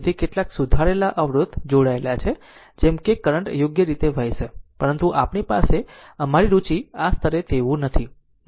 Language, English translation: Gujarati, So, some resistance corrected resistance is connected such that your current will flow right, but we will we have our interest is not like that at the at this level